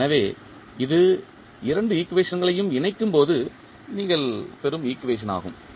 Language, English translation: Tamil, So, this is equation which you get when you combine both of the equations